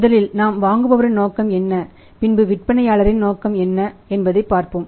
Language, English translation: Tamil, But first we will see that what is a motive of the buyer and what is the motive of the seller